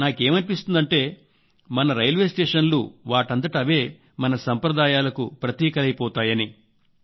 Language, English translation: Telugu, It seems that our railway stations in themselves will become the identity of our tradition